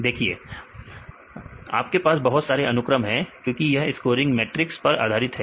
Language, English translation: Hindi, See you have wide range of applications because its based on this scoring matrices